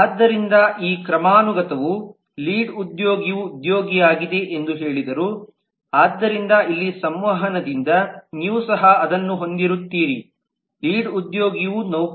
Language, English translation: Kannada, so this hierarchy said that lead is an employee so here by transitivity you will also have that lead is an employee